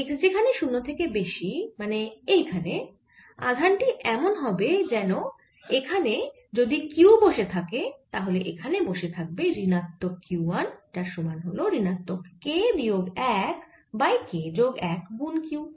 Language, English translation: Bengali, for x greater than zero that is this region the charge is as if there is a q sitting here and there's a minus q sitting here, minus or q, one which is equal to minus k, minus one over k, plus one q